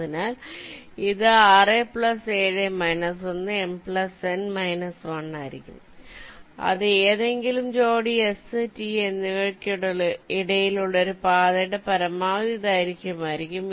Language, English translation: Malayalam, ok, m plus n minus one, that will be the maximum length of a path between any pair of s and t